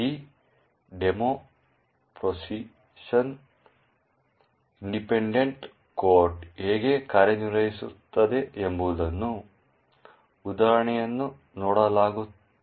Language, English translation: Kannada, In this demo will be actually looking at an example of how Position Independent Code works